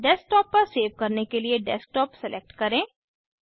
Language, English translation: Hindi, Select Desktop to save the file on Desktop